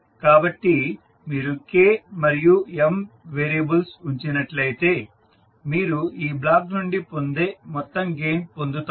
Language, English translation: Telugu, So, if you put the variables of K and M you will get the total gain which you will get from this block